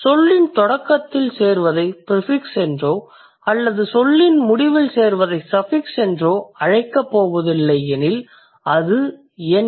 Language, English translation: Tamil, If we are not going to call it prefix which occurs at the beginning of the word or you are going to call it a suffix which is which occurs in the end of the word